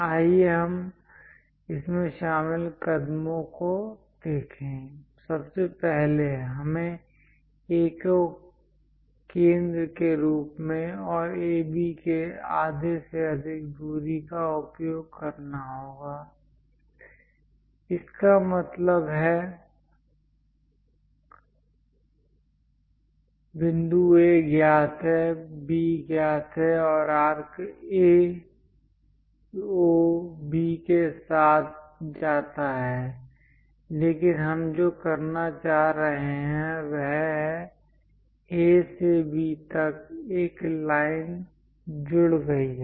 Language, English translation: Hindi, Let us look at the steps involved in that; first, we have to use with A as centre and distance greater than half of AB; that means, point A is known B is known, and the arc goes along A, O, B but what we are trying to do is; from A to B, join by a line